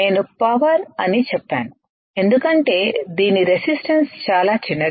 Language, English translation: Telugu, I said power, because the resistance of this is extremely small